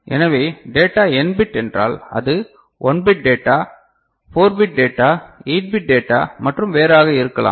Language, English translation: Tamil, So, if the data is of n bit it could be 1 bit data, it could be 4 bit data, it could be 8 bit data and all